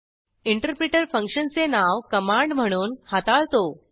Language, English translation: Marathi, The interperter treats function name as a command